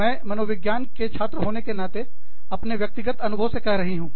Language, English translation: Hindi, I am telling you this, from personal experience, as a student of psychology